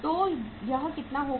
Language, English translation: Hindi, So this will be how much